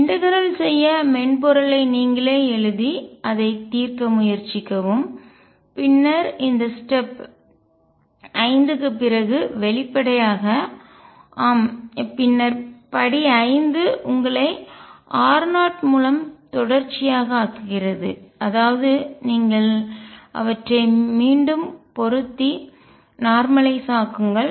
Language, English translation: Tamil, Try to write the integrating software yourself and solve it and then after this step 5; obviously, yes then step 5 make u continuous through r naught; that means, you match them again and normalize